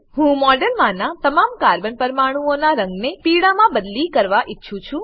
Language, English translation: Gujarati, I want to change the colour of all the Carbon atoms in the model, to yellow